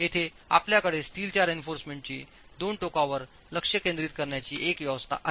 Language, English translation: Marathi, Here we have an arrangement with the steel reinforcement concentrated at the two ends